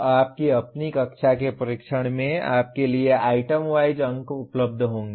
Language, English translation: Hindi, Your own class tests you will have item wise marks available to you